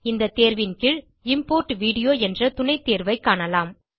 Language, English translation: Tamil, Under this option, you will see the Import Video sub option